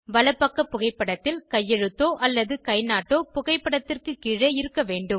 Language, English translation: Tamil, For the right side photo, the signature/thumb impression should be below it